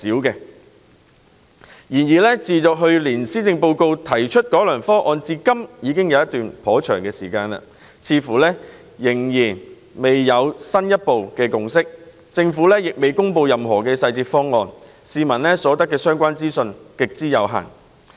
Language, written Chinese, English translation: Cantonese, 然而，自去年施政報告提出改良方案至今已有一段頗長時間，各界卻似乎未能達致進一步的共識，政府亦尚未公布任何細節方案，市民所得的相關資訊極之有限。, However a long time has passed since the revised proposal was announced in the Policy Address last year . The various parties concerned seem unable to reach a further consensus while the Government has yet announced the specifics of the proposal and the relevant information made available to public has been extremely limited